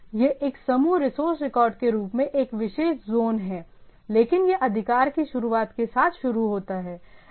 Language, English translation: Hindi, So, it is a particular zone as a a group resource record, but it starts with the start of authority right